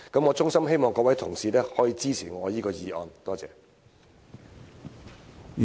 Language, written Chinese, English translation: Cantonese, 我衷心希望各位同事支持我的議案，多謝。, I sincerely hope that Honourable colleagues will support my motion . Thank you